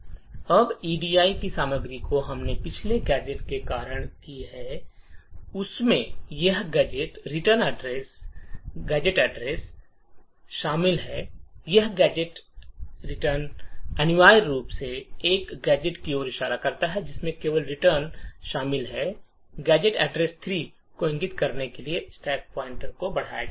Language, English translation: Hindi, Now the contents of the edi what we have done due to the previous gadget contains this gadget return, this gadget return essentially is pointing to this gadget comprising of just a return, simply increments the stack pointer to point to gadget address 3